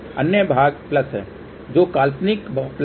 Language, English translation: Hindi, Other part is plus which is imaginary plus